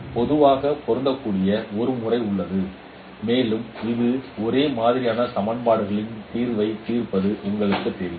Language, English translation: Tamil, So there is a method which is more generally applicable and that is called solving solution of homogeneous equations